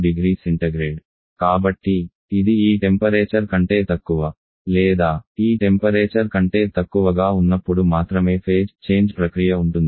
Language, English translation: Telugu, So it can go to phase change process only below this temperature will below this temperature